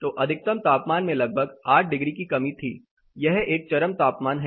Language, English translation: Hindi, So, there was more or less an 8 degree reduction in the maximum temperature, this is a peak temperature